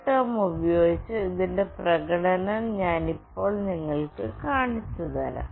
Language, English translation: Malayalam, Now I will be showing you the demonstration of this using CoolTerm